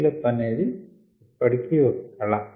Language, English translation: Telugu, the scale up is still an art